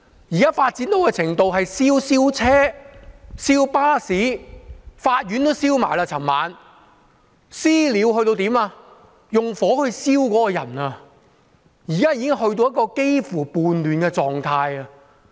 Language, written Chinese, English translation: Cantonese, 現時發展到的程度是燒車、燒巴士，昨晚連法院也被燒；"私了"到用火去燒別人，現時已經達到一個幾乎叛亂的狀態。, Now things have developed to a state where cars and buses were set on fire and even a court was set ablaze last night . Vigilantism has been perpetrated to the extent of setting fire to another person . Things have now reached a state which is almost like a rebellion